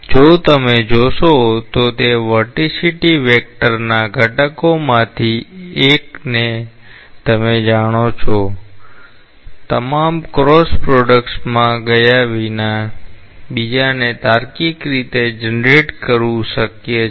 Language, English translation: Gujarati, If you see it is if you know one of the components of the vorticity vector; it is possible to generate the other one intuitively without going into all the cross products